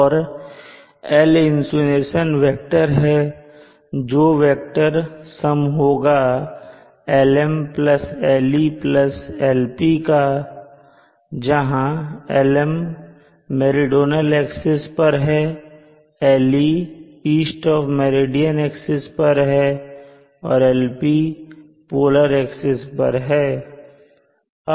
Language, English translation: Hindi, And L the insulation vector is the vectorial sum of Lm along the meridional axis, Le along the east of the meridian axis plus Lp along the polar axis